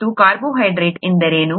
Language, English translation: Kannada, And what is a carbohydrate